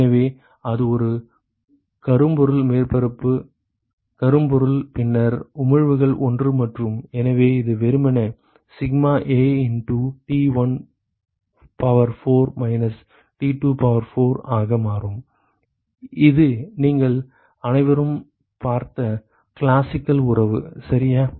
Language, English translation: Tamil, So, if it were to be a black body surface is black body, then emissivities are 1 and so, this is simply become sigma A into T1 power 4 minus T2 to the power of 4, this is the classical relationship that all of you have seen right